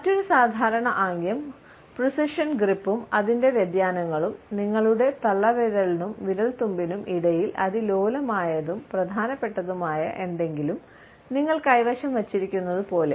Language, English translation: Malayalam, Another common gesture is what can be termed as the precision grip and its variations, as if you are holding something delicate and important between your thumb and your fingertips